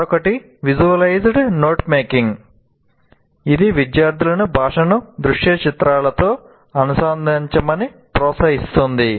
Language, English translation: Telugu, And another one, visualized not making is a strategy that encourages students to associate language with visual imagery